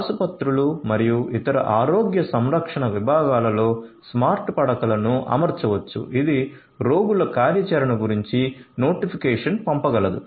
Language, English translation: Telugu, In hospitals and other health care units smart beds can be deployed which can send notification about the patients activity